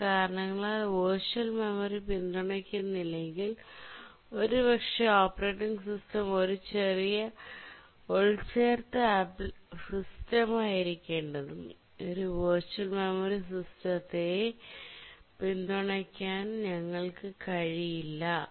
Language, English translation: Malayalam, This is called as the memory protection feature and if for some reason we don't support virtual memory, maybe because the operating system needs to be small embedded system and we cannot really afford to support a virtual memory system, then memory protection becomes a issue